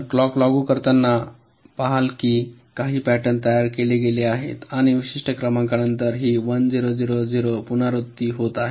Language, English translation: Marathi, you see, as you go and applying clocks, you will see some patterns have been generated and after certain number, this one, zero, zero, zero is repeating